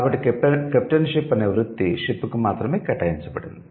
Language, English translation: Telugu, So, captain or the profession named captain ship was reserved only for the ship